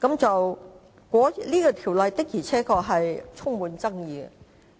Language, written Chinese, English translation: Cantonese, 這《條例草案》確實充滿爭議。, The Bill is undoubtedly highly controversial